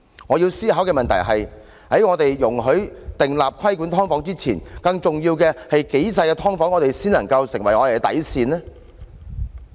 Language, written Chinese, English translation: Cantonese, 我要思考的問題是，在我們訂立規管"劏房"的條例前，更重要的是，多細小的"劏房"才是我們的底線呢？, Before we enact legislation on regulating subdivided units a more important question I need to consider is our bottom line as to how small a subdivided unit can be